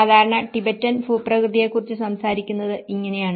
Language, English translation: Malayalam, This is how the typical Tibetan landscape is all talked about